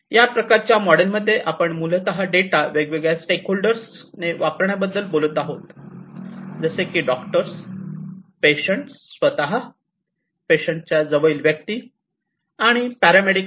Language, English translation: Marathi, So, essentially in this kind of model, we are talking about utilization of the data by different stakeholders like the doctors, the patients themselves, the you know the near and dear ones of the patients, the paramedics and so on